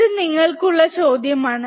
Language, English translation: Malayalam, So, that is the kind of question for you